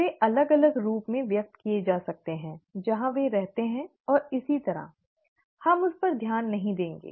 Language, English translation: Hindi, They could be expressed differently depending on where they reside and so on and so forth, we will not get into that